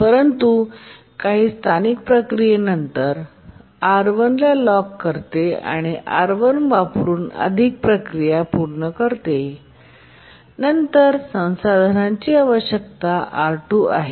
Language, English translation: Marathi, But then after some local processing it locks R1 and then does more processing using R1 and then needs the resource R2